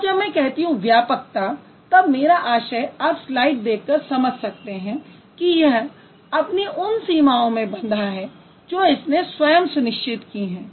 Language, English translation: Hindi, So, when I say exhaustiveness, if you look at the slide, it's written within the limits which it sets itself